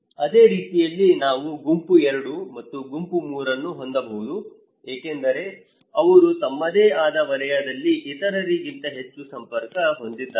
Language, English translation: Kannada, Like the same way, we can have group 2 and group 3 because they within their own circle is more connected than other